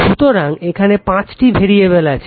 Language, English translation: Bengali, So, there are five variables right